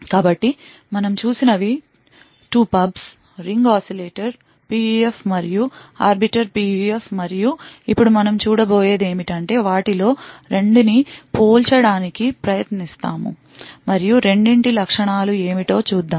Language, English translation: Telugu, So, what we have seen; 2 pubs, the Ring Oscillator PUF and Arbiter PUF and what we will see now is we will try to compare 2 of them and see what are the characteristics of the two